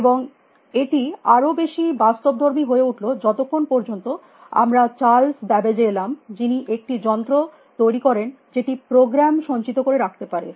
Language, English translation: Bengali, And it became more and more sophisticated, tell we came to Chales Babbage, who invented a machine which could store of a program